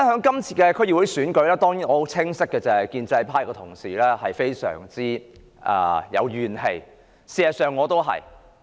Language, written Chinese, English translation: Cantonese, 這次區議會選舉中，建制派同事固然有怨氣，事實上我亦一樣。, There are certainly grievances among pro - establishment colleagues regarding this District Council DC Election and in fact I feel the same